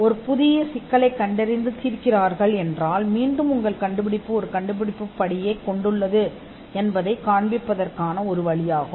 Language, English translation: Tamil, Because and if you identify and solve a brand new problem, again that is yet another way to show that your invention involves an inventive step